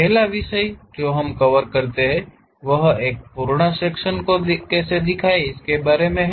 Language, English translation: Hindi, The first topic what we cover is a full section representation